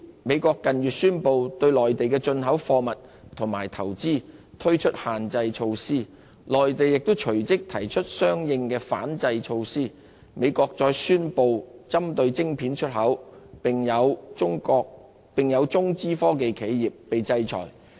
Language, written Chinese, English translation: Cantonese, 美國近月宣布對內地的進口貨物及投資推出限制措施，內地亦隨即提出相應的反制措施，美國則再宣布針對晶片出口的措施，一些中資科技企業更受到制裁。, The United States in recent months announced restrictive measures against imported goods and investments from the Mainland . The Mainland responded in kind immediately after putting forth counter - measures . Meanwhile the United States announced further measures targeting semiconductor exports with some Chinese - funded technology enterprises being singled out for sanctions